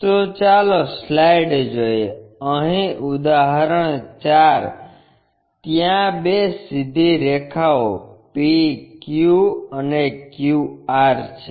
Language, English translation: Gujarati, So, let us look at the slide, here example 4; there are two straight lines PQ and QR